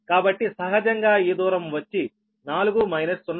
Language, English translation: Telugu, so naturally this distance will be four minus point six